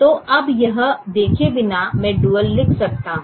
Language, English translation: Hindi, so now, without seeing this, i can right the duel